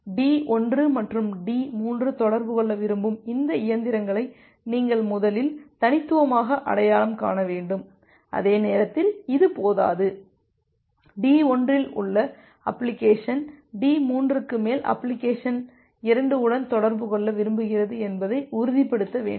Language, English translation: Tamil, You have to first uniquely identify this machines that D1 and D3 want to communicate and that is not sufficient at the same time you need to ensure that the application 1 at D1 wants to communicate with application 2 over D3